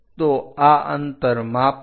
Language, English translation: Gujarati, So, measure this distance